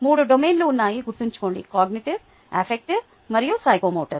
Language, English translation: Telugu, remember, there are three domains: cognitive, affective and psychomotor